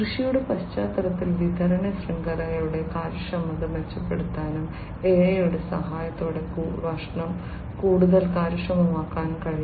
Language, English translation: Malayalam, Supply chain efficiency also can be improved in supply chain in the context of agriculture and food could also be made much more efficient with the help of AI